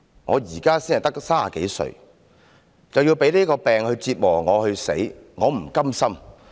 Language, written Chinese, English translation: Cantonese, 我現在才30多歲，便要被這個病折磨至死，我不甘心。, I am only 30 - odd years old but I am going to be tortured to death by this disease . I cannot accept it